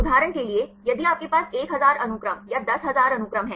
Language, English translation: Hindi, For example, if you have 1000 sequences or 10,000 sequences